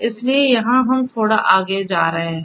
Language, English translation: Hindi, So, here we are going little bit further